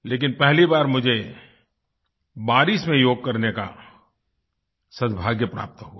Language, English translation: Hindi, But I also had the good fortune to practice Yoga in the rain for the first time